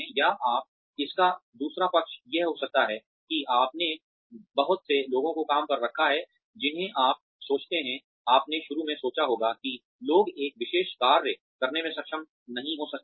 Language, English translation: Hindi, Or, you may, the other side of it, may be that, you hired a lot of people, who you think, you may have initially thought that, people may not be able to do a particular task